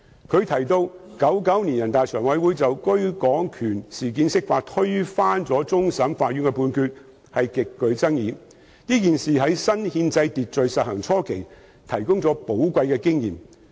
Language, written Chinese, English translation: Cantonese, 他亦提到 ，1999 年人大常委會就居港權事件釋法，推翻了終審法院的判決，事件極具爭議，這事也在新憲制秩序實行初期提供了寶貴的經驗。, He also mentioned that the NPCSCs interpretation of the Basic Law in 1999 in relation to the right of abode issue overturned the judgment of CFA . This incident was highly controversial and provided a valuable experience for all parties under the new constitutional order